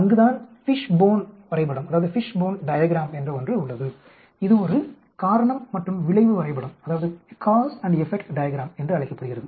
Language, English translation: Tamil, That is where we have something called a Fishbone diagram, this is called a cause and effect diagram